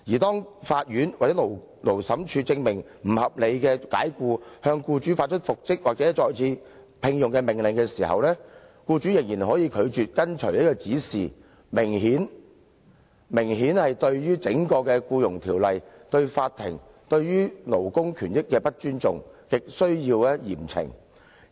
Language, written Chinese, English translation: Cantonese, 當法院或者勞審處裁定他被不合理解僱，並向僱主發出復職或再次聘用的命令時，僱主仍然可以拒絕遵從指示，明顯對於整項《僱傭條例》、對法庭、對勞工權益非常不尊重，亟需嚴懲。, If the court or Labour Tribunal rules that the employee has been unreasonably dismissed and issues an order for reinstatement or re - engagement to the employer the employer can still refuse to comply with the order . If that is the case the employer who obviously shows no respect for the Ordinance the court and labour rights should be seriously punished